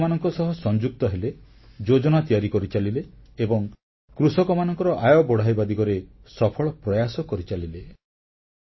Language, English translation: Odia, This trust remained associated with farmers, drew plans and made successful efforts to increase the income of farmers